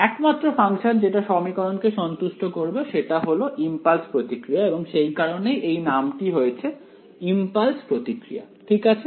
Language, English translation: Bengali, The only function that will satisfy this equation is the impulse response itself and hence the name in impulse response ok